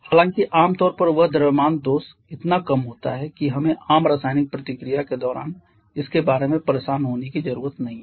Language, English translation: Hindi, However that mass defect general is so small that we do not need to bother about that during most of the common chemical reaction